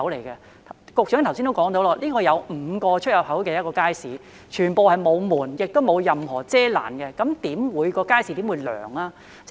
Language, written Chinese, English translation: Cantonese, 局長剛才已提到，大圍街市共有5個出入口，全部沒有門，亦沒有任何遮攔，試問街市又怎會涼呢？, As the Secretary has mentioned earlier there are five entrances in the Market in total but all of which are neither installed with doors nor shelters of any kind so how can the Market be cool?